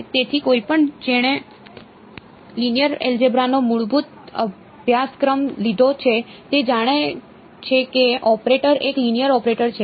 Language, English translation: Gujarati, So, anyone who has taken a basic course in linear algebra knows that the operator is a linear operator